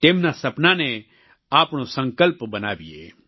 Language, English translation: Gujarati, Their dreams should be our motivation